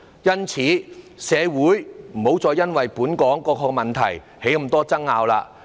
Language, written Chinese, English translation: Cantonese, 因此，社會不要再因為本港各種問題而出現眾多爭拗。, In view of this society should no longer be embroiled in the numerous disputes arising from the various problems in Hong Kong